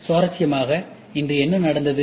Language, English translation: Tamil, And interestingly, today What has happened